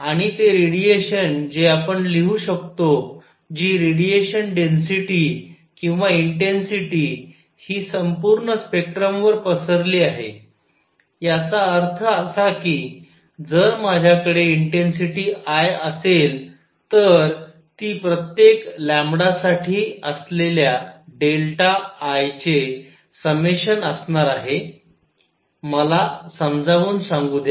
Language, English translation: Marathi, And the radiation we can write the radiation density or intensity is distributed over the entire spectrum; that means, if I have the intensity I, it will be summation of some delta I for each lambda; let me explain